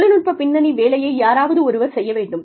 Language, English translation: Tamil, Somebody has to do the technical background work